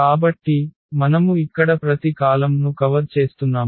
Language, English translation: Telugu, So, we are covering each column for instance here